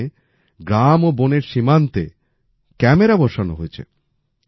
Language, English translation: Bengali, Here cameras have been installed on the border of the villages and the forest